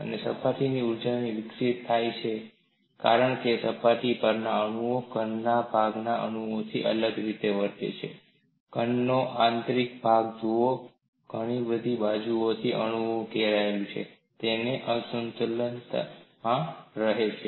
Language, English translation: Gujarati, The surface energies develop because atoms close to a surface behave differently from an atom at the interior of the solid; see, in the interior of the solid the atom is surrounded by atoms on all the sides, so it remains in equilibrium